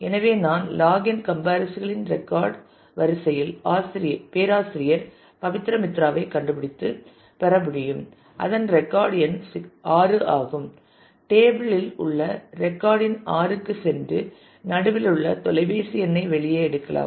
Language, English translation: Tamil, So, at least in the log n order of comparisons I should be able to find professor Pabitra Mitra and get the fact; that it is record number is 6 navigate to the record number 6 in the table in the middle and take out the phone number